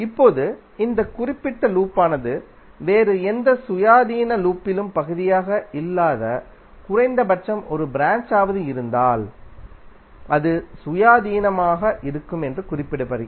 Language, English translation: Tamil, Now this particular loop is said to be independent if it contains at least one branch which is not part of any other independent loop